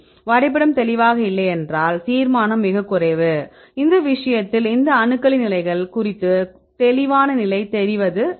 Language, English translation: Tamil, If the map is not clear then the resolution is very low, in this case we are not sure about the atomic positions of these all the atoms right